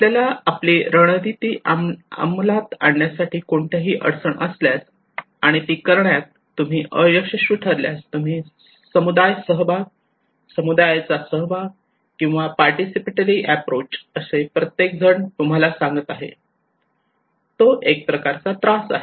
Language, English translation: Marathi, If you have any problem to implement your strategies and plan you fail to do so, you incorporate community participations, involvement of community, participatory approach that is everybody who tell you okay it is a kind of trouble shooter